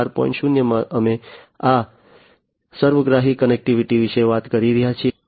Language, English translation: Gujarati, 0, we are talking about this holistic connectivity